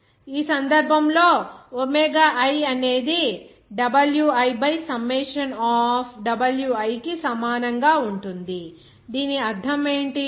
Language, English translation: Telugu, In this case, Wi that will be is equal to, sorry omega i that will be equal to Wi by summation of Wi, what does it mean